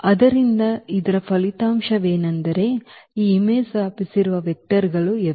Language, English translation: Kannada, So, that is the result we have now that these are the vectors which span the image F